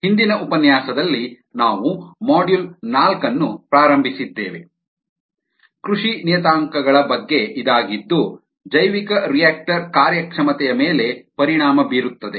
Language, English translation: Kannada, in the last lecture we had ah started module four, which is on cultivation parameters that affect bioreactor performance